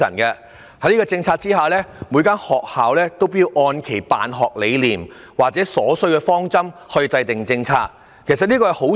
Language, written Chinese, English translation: Cantonese, 在此政策下，每所學校要按其辦學理念或需要制訂治校方針，這本是好事。, Under this policy every school is required to set its management direction according to its educating philosophies or needs which was initially a good idea